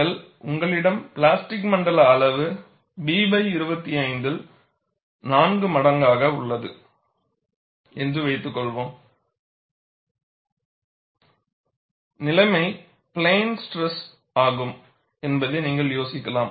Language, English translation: Tamil, Suppose, you have the plastic zone size is greater than 4 times B by 25, you could idealize that, the situation is plane stress